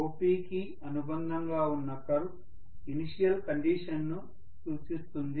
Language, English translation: Telugu, The curve which is corresponding to OP that represents the initial condition